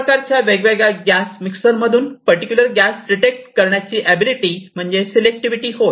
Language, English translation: Marathi, Selectivity is the ability to detect a particular gas in a mixture of different gases